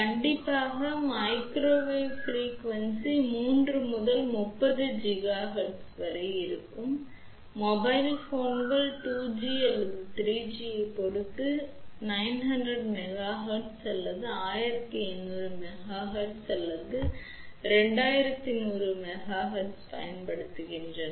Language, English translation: Tamil, Strictly speaking microwave frequency is from 3 to 30 gigahertz whereas, mobile phones use 900 megahertz or 18 100 megahertz or 21 100 megahertz depending upon 2 g or 3 g